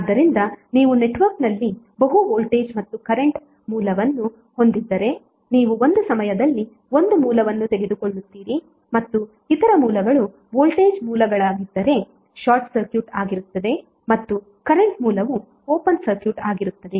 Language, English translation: Kannada, So if you have multiple voltage and current source in the network you will take one source at a time and other sources would be either short circuited if they are a voltage sources and the current source is would be open circuited